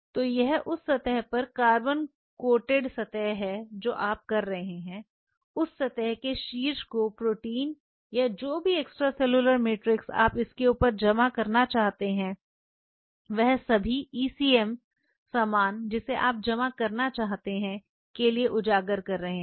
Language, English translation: Hindi, So, this is carbon coated surface on that surface you are having you expose that surface at the top to have the proteins or whatever extracellular matrix you want to deposit on top of it all the ECM stuff you want to deposit this is how it works